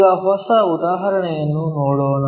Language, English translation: Kannada, Now, let us look at a new example